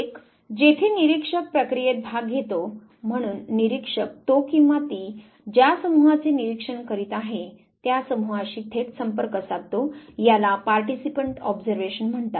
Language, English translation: Marathi, One where the observer participates in the process; so observer is in direct contact with the group he or she is observing, this is called as participant observation